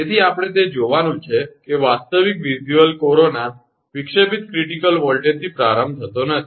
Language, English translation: Gujarati, So, we have to see that actual visual corona, does not start at the disruptive critical voltage